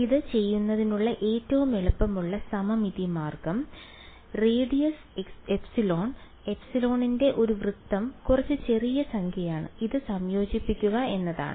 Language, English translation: Malayalam, So, the easiest symmetrical way of doing it is to have a circle of radius epsilon ok epsilon is some small number and integrate about this